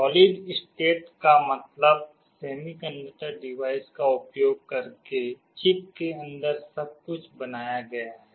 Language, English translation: Hindi, Solid state means everything is built inside a chip using semiconductor device